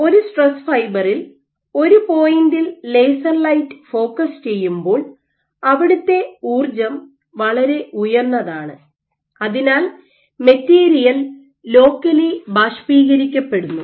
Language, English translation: Malayalam, So, the when you focus laser light on a single point on a stress fiber the energy is so high that locally the material just evaporates